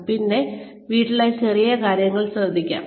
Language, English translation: Malayalam, But then, just taking care of little things in the house